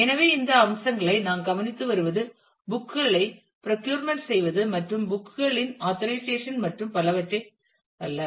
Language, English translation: Tamil, So, we are just looking into these aspects not the procurement of books and organization of the books and so on